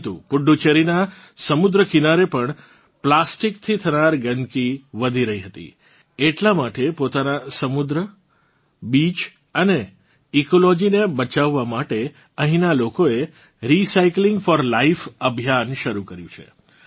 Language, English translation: Gujarati, But, the pollution caused by plastic was also increasing on the sea coast of Puducherry, therefore, to save its sea, beaches and ecology, people here have started the 'Recycling for Life' campaign